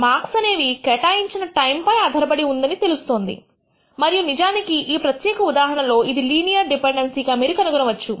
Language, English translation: Telugu, The marks obtained seem to be dependent on the time spent and in fact, in this particular case you find that it looks like a linear dependency